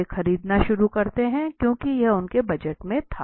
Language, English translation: Hindi, They start because it was in the budget they started purchasing it